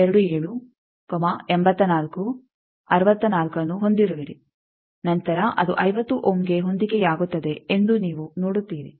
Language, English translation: Kannada, 27, 84, 64 then that is matching to 50 ohm